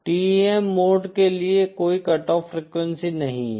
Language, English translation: Hindi, For TEM mode no cut off frequency is there